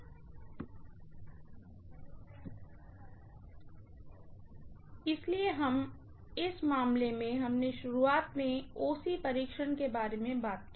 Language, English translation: Hindi, So, in this case we initially talked about OC test